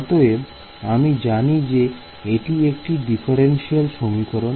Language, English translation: Bengali, So, I know that the differential equation is this